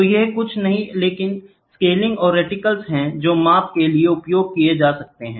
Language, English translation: Hindi, So, these are nothing but scales gratings and reticles which are used for measurement